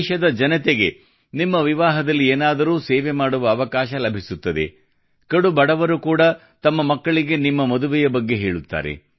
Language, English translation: Kannada, The people of the country will get an opportunity to render some service or the other at your wedding… even poor people will tell their children about that occasion